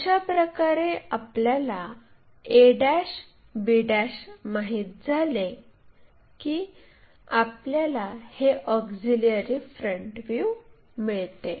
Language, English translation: Marathi, Once we know that that a' b' represents our auxiliary front view